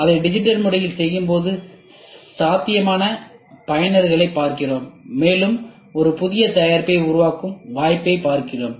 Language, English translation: Tamil, It is all done digitally and when we do it digitally, we look at the potential users and we look at the opportunity while for developing a new product